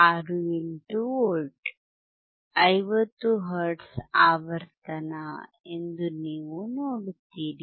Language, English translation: Kannada, 68 V 50 hertz frequency